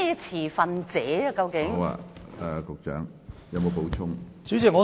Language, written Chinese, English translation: Cantonese, 持份者究竟是指何人？, Who are the stakeholders?